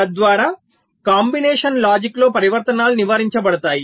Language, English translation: Telugu, thereby transitions in the combinational logic will be avoided